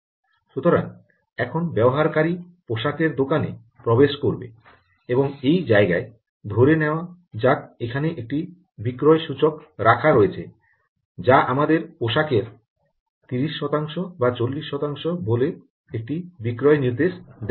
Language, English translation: Bengali, so now the user enters the garment shop and out in this corner there is a, let us say, a sale indicator, a sale indicated here which is, lets say, thirty percent or forty percent of some garment